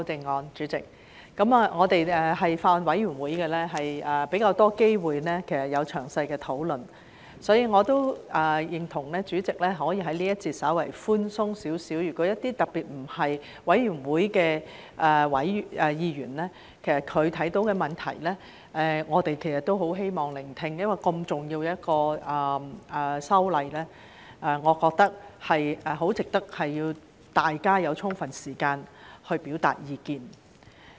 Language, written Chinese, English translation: Cantonese, 代理主席，我們在法案委員會有較多機會可以詳細討論，所以我也認同代理主席在這一節可以稍為寬鬆，對於一些特別不是法案委員會委員的議員，他們看到的問題，我們都很希望聆聽，因為如此重要的修例，我認為很值得讓大家有充分時間表達意見。, Deputy Chairman we had more opportunities to hold detailed discussion in the Bills Committee so I also agree that the Deputy Chairman can be a little bit more lenient in this session . In particular for some Members who are not members of the Bills Committee we would like to listen to their speeches on the problems they have detected . As this is such an important legislative amendment exercise I think it is worthwhile to allow sufficient time for Members to express their views